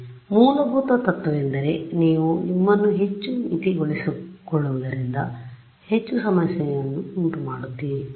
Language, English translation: Kannada, So, the basic principle is the more you limit yourselves the harder you make a problem